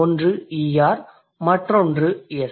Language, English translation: Tamil, One is ER, the other one is S